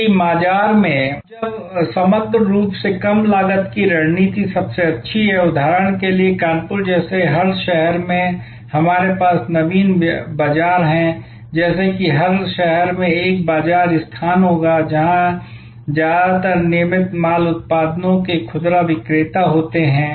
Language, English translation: Hindi, Now, when is overall low cost strategy best for example, in every city like in Kanpur we have Naveen market, like in every city there will be a market place, where most of the retailers of regular merchandise products